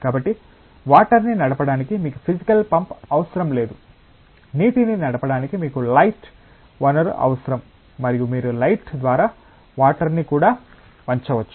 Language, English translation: Telugu, So, you do not require a physical pump to drive water, you just require a source of light to drive water and you can even bend water by light